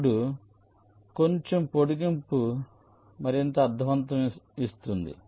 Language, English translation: Telugu, right now, a slight extension makes it more meaningful